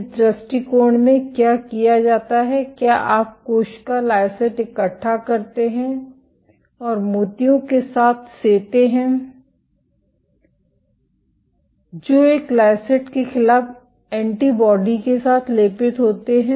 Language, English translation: Hindi, What is done in this approach is you collect the cell lysate and incubate with beads which are coated with antibody against a lysate